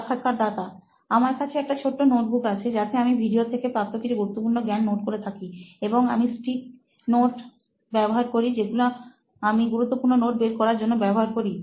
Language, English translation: Bengali, I have a small notebook with me which again I write a few important insights from the video and I keep stick notes where I can pick for that important notes